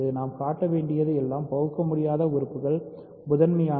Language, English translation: Tamil, So, all we need to show is that irreducible elements are prime